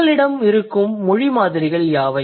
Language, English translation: Tamil, And what are the language samples you might have